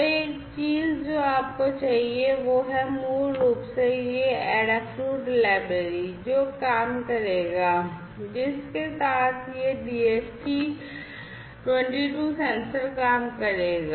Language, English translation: Hindi, So, one thing that you need is basically this adafruit library, which will work with which will make this DHT 22 sensor to work